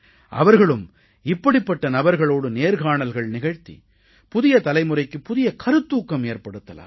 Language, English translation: Tamil, They too, can interview such people, and inspire the young generation